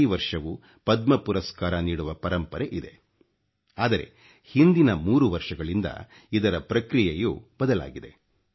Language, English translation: Kannada, There was a certain methodology of awarding Padma Awards every year, but this entire process has been changed for the past three years